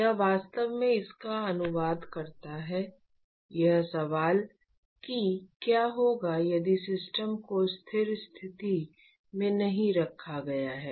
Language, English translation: Hindi, That is what it really translates into: the question what if the system is not maintained in the steady state